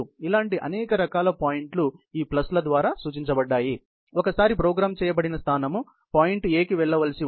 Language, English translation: Telugu, You know, there are a variety of such points as represented by these pluses, where there can be the robot position, programmed position, once it is supposed to go to the point A